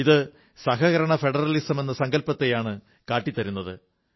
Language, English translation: Malayalam, It symbolises the spirit of cooperative federalism